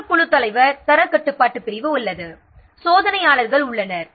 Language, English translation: Tamil, Another team leader, the quality control section is there